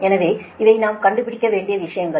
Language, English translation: Tamil, so these are the things we have to find out right